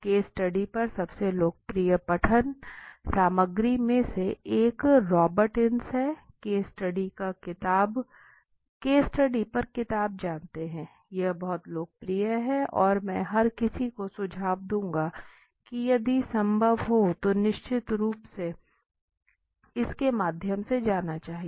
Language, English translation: Hindi, One of the most popular material reading material on case studies is Robert Ins you know book on case study right this is the very popular and I would suggest everybody if possible can surely should go through it okay